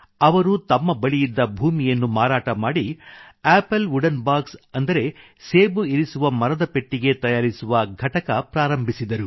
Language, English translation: Kannada, He sold his ancestral land and established a unit to manufacture Apple wooden boxes